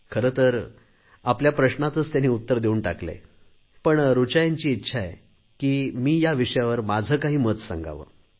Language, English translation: Marathi, Although she herself has given the answer to her query, but Richa Ji wishes that I too must put forth my views on the matter